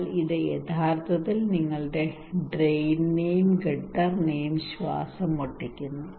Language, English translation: Malayalam, But also it is actually choking your drain and gutter